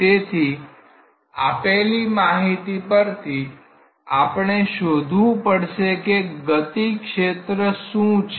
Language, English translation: Gujarati, So, from this given consideration we have to find out what is the velocity field